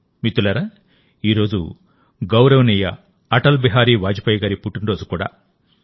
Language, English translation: Telugu, Friends, today is also the birthday of our respected Atal Bihari Vajpayee ji